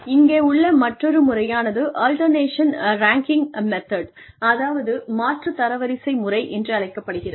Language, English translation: Tamil, The other method, here is called, the alternation ranking method